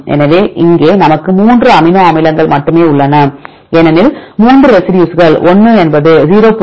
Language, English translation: Tamil, So, here we have only 3 amino acids right because 3 residues 1 is the 0